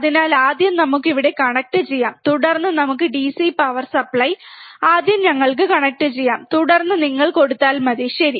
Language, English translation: Malayalam, So, we can first connect it here, and then we can apply the DC power supply, first we can connect and then if you apply, alright